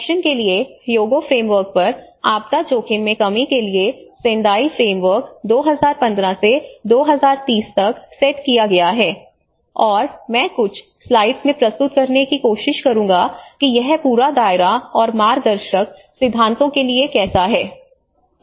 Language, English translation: Hindi, And follow up on the Hyogo Framework for Action, Sendai Framework for disaster risk reduction sets up like this 2015 to 2030, and I will try to present into few slides on how this whole scope and purpose to the guiding principles